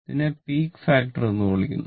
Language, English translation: Malayalam, So, that is your what you call call peak factor